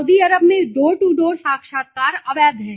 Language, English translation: Hindi, Door to door interview in Saudi Arabia is illegal